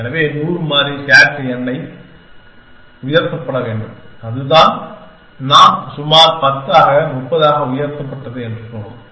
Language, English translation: Tamil, So, 100 variable SAT has 2 raised n, which we said was about 10 raised to 30